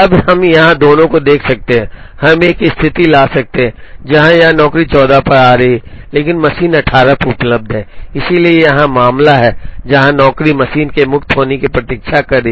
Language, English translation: Hindi, Now here we can see both, we can a situation, where this job is coming out at 14, but the machine is available at 18 so here is the case, where the job is waiting for the machine to be free